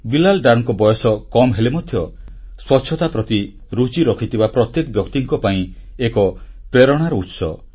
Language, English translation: Odia, Bilal is very young age wise but is a source of inspiration for all of us who are interested in cleanliness